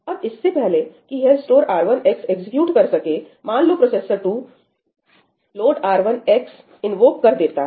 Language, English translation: Hindi, Now, before it can execute ëstore R1 xí, let us say that processor 2 invoked ëload R1 xí